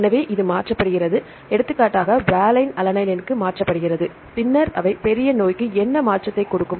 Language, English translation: Tamil, So, this is replaced, for example, valine is replaced to alanine, then they will happen to what is the major disease